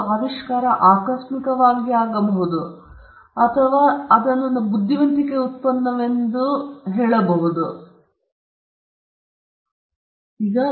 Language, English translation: Kannada, An invention, it could be a serendipitous invention, but never the less we attribute it as a product of the intellect